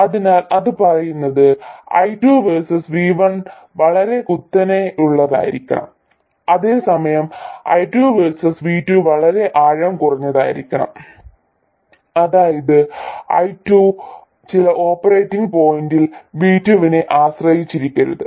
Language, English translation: Malayalam, So, what it says is that I2 versus V1 has to be very steep, whereas I2 versus V2 has to be very shallow, that is I2 should not depend on V2 at all around some operating point